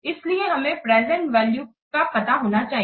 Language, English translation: Hindi, So, that's why we must know the present value